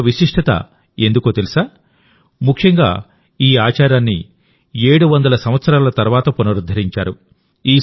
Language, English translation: Telugu, It is special, since this practice has been revived after 700 years